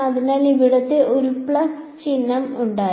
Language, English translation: Malayalam, So, there was there was this was a plus sign over here right